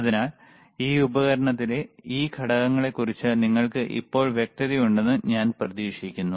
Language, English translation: Malayalam, So, I hope now you are clear with thisese components within this equipment